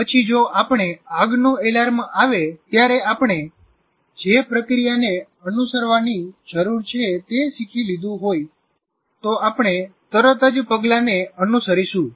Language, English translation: Gujarati, And then if you have learned what is the procedure you need to follow when the fire alarm comes, you will immediately follow those steps